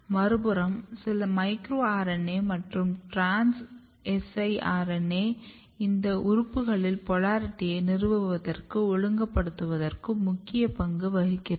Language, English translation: Tamil, On the other hand there are some of the micro RNAs, trans siRNAs they are also playing a very important role in establishing and regulating, polarity in these organs